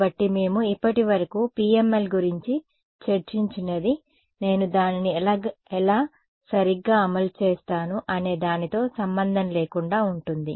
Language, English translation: Telugu, So, what we have discussed about PML so far is independent of how I will implement it right